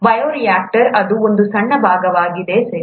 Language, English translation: Kannada, Bioreactor is a small part of it, okay